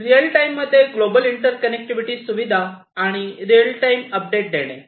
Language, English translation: Marathi, Global inter connectivity facilities in real time, and providing real time updates